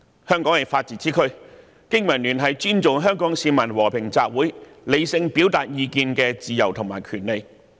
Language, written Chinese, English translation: Cantonese, 香港是法治之區，經民聯尊重香港市民和平集會、理性表達意見的自由和權利。, Hong Kong is a place that upholds the rule of law . BPA respects the freedom and rights of Hong Kong citizens to hold peaceful assemblies and rationally express their views